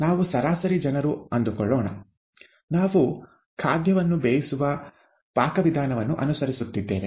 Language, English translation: Kannada, Let us say that we are average people, we are following a recipe to cook a dish